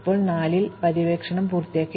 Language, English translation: Malayalam, Now, we have finished exploring 4